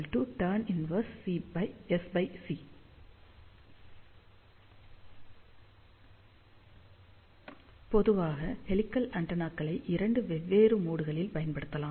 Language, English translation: Tamil, Now, helical antennas in general can be used in two different modes